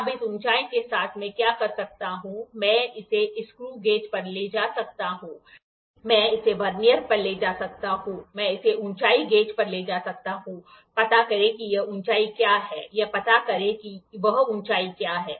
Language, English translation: Hindi, Now with this height what I can do is I can take it to a screw gauge I can take it to a Vernier I can take it to height gauge find out what is this height find out what is that height